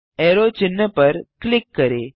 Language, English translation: Hindi, Right click on the arrow sign